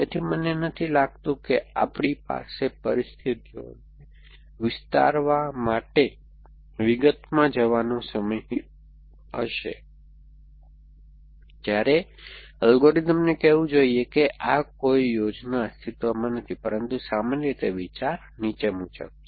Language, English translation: Gujarati, So, I do not think we will have the time to go into details to stretch out the conditions when the algorithm should say that no plan exists, but the general idea is as follows